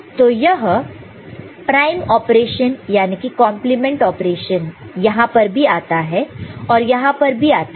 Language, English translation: Hindi, So, this prime operation the compliment operation comes here as well as here as well as here